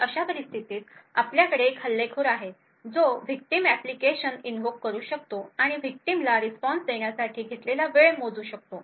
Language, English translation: Marathi, So, in such a scenario we have an attacker who is able to invoke a victim application and is able to measure the time taken for the victim to provide a response